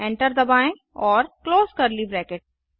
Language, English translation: Hindi, Press Enter and close curly bracket